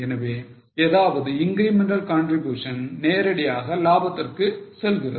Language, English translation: Tamil, So, any incremental contribution directly goes to profit